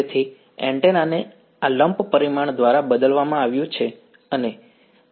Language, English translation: Gujarati, So, the antenna has been replaced by this lump parameter and so, this together is Za